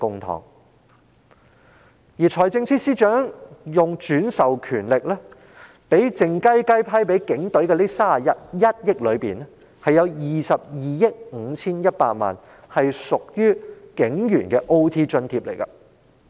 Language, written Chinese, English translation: Cantonese, 在財政司司長運用轉授權力，靜悄悄批撥予警隊的近31億元款項中，有22億 5,100 萬元屬支付予警務人員的加班津貼。, Regarding this funding of nearly 3.1 billion allocated secretly to the Police Force under delegated power exercised by the Financial Secretary 2.251 billion of it is intended to be used for paying overtime allowance to police officers